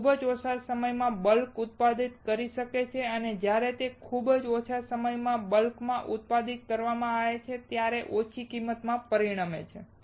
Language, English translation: Gujarati, It can be manufactured in bulk in very less time and when these are manufactured in bulk in very less time will result in low cost